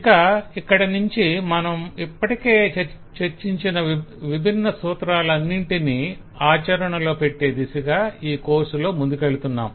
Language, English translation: Telugu, from this point onward we are slowing taking the course towards practicing all the different principles that we have already discussed